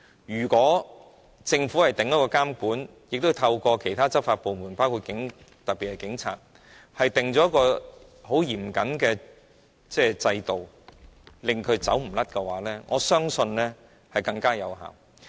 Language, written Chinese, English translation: Cantonese, 如果政府訂下監管，亦透過其他執法部門，特別是警察，訂立一個很嚴謹的制度，令他無路可逃的話，我相信更有效。, I believe it will be more effective if the Government imposes regulation and establishes a very stringent system through law enforcement agencies in particular the Police so that there is no way to escape